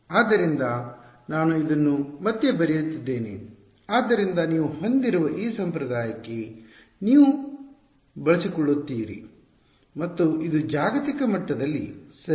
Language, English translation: Kannada, So, I am writing this again so that you get used to this convention that we have and this of course, is global ok